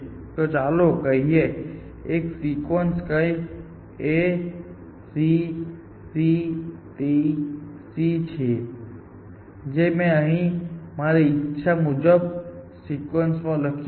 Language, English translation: Gujarati, So, let us say, there is one sequence which is like this, A C G T C some arbitrary sequence I have written here